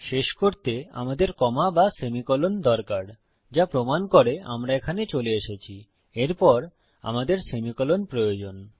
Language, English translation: Bengali, We either need a comma or a semicolon to end, which proves that as were coming up to here, we need a semicolon after this